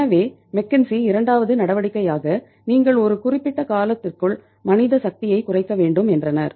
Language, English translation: Tamil, So McKenzie said as a second measure you have to reduce the manpower over a period of time